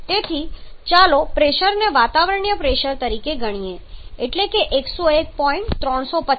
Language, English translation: Gujarati, So let us consider the pressure to be atmospheric pressure